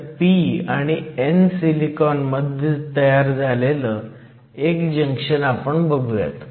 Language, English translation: Marathi, So, let us consider a junction formed between p and n silicon